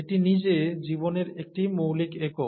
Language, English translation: Bengali, This is some fundamental unit of life itself